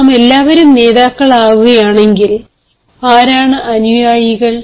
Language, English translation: Malayalam, if all of us become leaders, who will be the followers